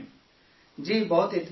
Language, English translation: Urdu, Yes, I get a lot of satisfaction